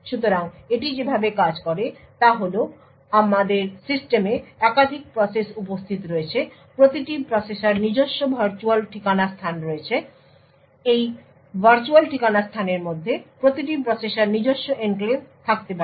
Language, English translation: Bengali, So, the way it works is that we have multiple processes present in the system each process has its own virtual address space and within this virtual address space each process could have its own enclave